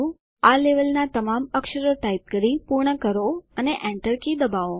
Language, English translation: Gujarati, Complete typing all the characters in this level and press the Enter key